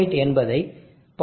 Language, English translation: Tamil, 78 will work out to 0